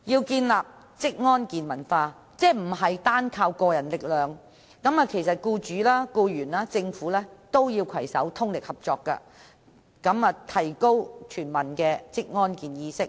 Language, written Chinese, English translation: Cantonese, 建立職安健文化不能單靠個人力量，僱主、僱員及政府均應攜手，合力提高全民的職安健意識。, Occupational safety and health culture can only be established with collective efforts . Employers employees and the Government should join hands and work together to promote awareness of occupational safety and health of all people in Hong Kong